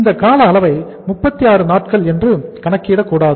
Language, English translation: Tamil, We are not to calculate this duration which is 36 days